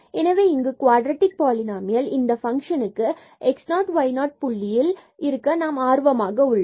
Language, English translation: Tamil, So, here we are interested in a quadratic polynomial of this function and about this point x 0 y 0